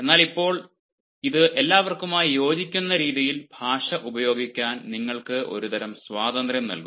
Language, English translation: Malayalam, so now it actually gives you a sort of liberty to use language in such a manner that it suits everyone